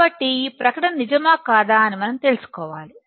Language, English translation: Telugu, So, we have to find out whether the statement is true or false